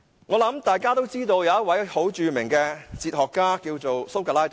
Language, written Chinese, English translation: Cantonese, 我相信大家都知道，有一位著名的哲學家叫蘇格拉底。, I believe Honourable colleagues all know a notable philosopher called SOCRATES